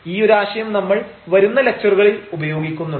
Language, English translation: Malayalam, So, this concept we will also use later on in many lectures